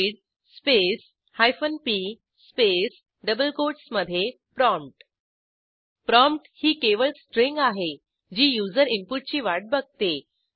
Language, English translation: Marathi, The syntax of read command is read space hyphen p space within double quotes PROMPT Please note that PROMPT is just a string, that waits for user input